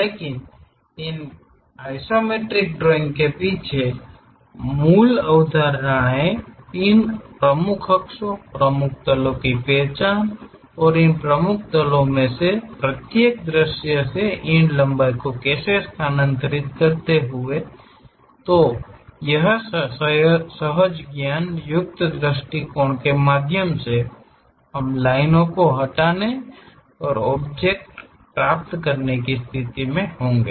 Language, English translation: Hindi, But the basic concepts behind these isometric drawings are first of all identifying these principal axis, principal planes, suitably transferring these lengths from each of these views onto these principal planes, through intuitive approach we will join remove the lines and get the object